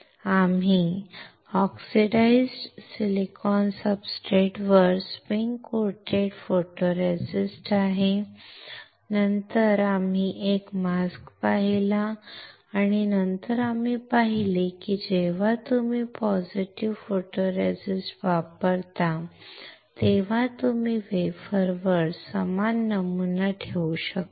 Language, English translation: Marathi, We have spin coated photoresist on the oxidized silicon substrate and then we have seen a mask and then we have seen that when you use positive photoresist then you can retain the similar pattern on the wafer